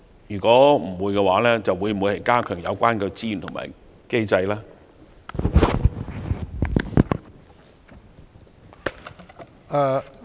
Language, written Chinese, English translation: Cantonese, 如果沒有，會否加強有關資源和機制？, If not will the relevant resources and mechanisms be strengthened?